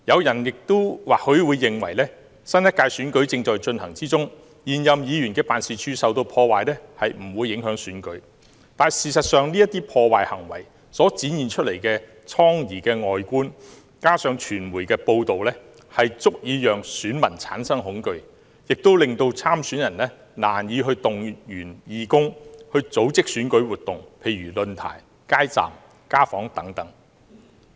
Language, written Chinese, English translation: Cantonese, 也許有人會認為，新一屆選舉即將進行，因此現任議員辦事處受破壞並不會影響選舉，但事實上，這些破壞行為所展現的瘡痍外觀，再加上傳媒的報道，足以令選民產生恐懼，亦令參選人難以動員義工組織選舉活動，例如論壇、街站和家訪等。, Perhaps some people may think that the offices of existing District Council members being targeted will not affect the upcoming election which is for a new term of the District Council . But the bad and ugly scenes after the vandalism together with the coverage by the mass media will generate fear among the voters and also make it very difficult for candidates to mobilize volunteers to organize election activities such as holding forums setting up street booths and making home visits